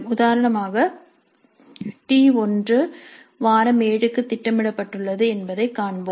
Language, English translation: Tamil, As an example, we saw that T1 is scheduled for week 7